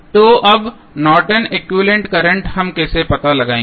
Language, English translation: Hindi, So, now the Norton's equivalent current how we will find out